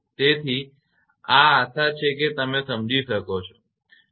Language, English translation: Gujarati, So, this is hopefully understandable to you, right